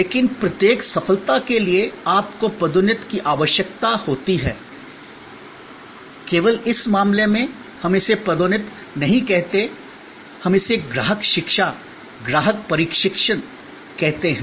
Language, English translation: Hindi, But, for each success, you need promotion, only in this case, we do not call it promotion, we call it customer education, customer training